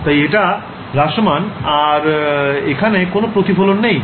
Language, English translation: Bengali, So, it has decayed and there is no reflection right